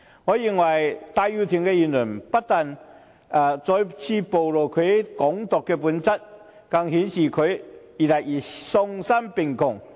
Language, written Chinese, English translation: Cantonese, 我認為戴耀廷的言論不僅再次暴露其"港獨"的本質，更顯示他越來越喪心病狂。, I consider that Benny TAIs remark not only exposed again his Hong Kong independence nature but also revealed his growing madness